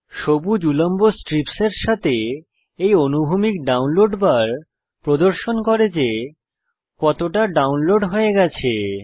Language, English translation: Bengali, This horizontal download bar with the green vertical strips shows how much download is done